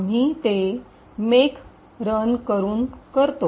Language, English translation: Marathi, We do that by running make